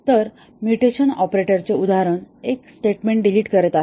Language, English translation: Marathi, So, example of mutation operators are deleting a statement